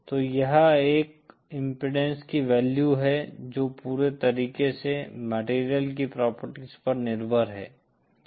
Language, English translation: Hindi, So this is a value of an impedance which is purely dependant on the properties of the material